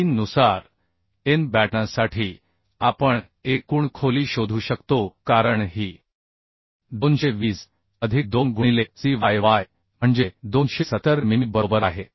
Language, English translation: Marathi, 3 we can find out the overall depth as this 220 plus 2 into cyy that is 270 mm right